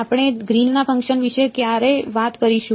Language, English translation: Gujarati, When will we will talk about Green’s function